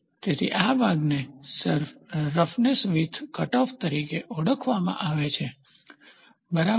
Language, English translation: Gujarati, So, this portion is called as the roughness width cutoff, ok